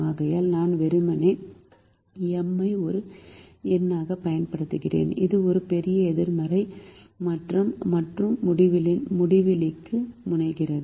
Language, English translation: Tamil, therefore, i am simply using m as a number which is large, positive and tends to infinity